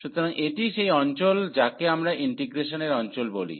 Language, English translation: Bengali, So, this is the area which we call the area of integration